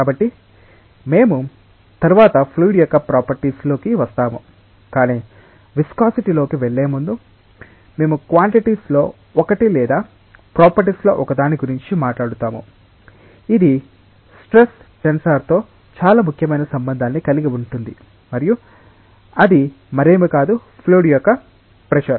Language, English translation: Telugu, So, we will come into the properties of the fluid subsequently, but before going in to the viscosity, we will talk about one of the quantities or one of the properties, which has a very important relationship with the stress tensor and that is nothing but the pressure of the fluid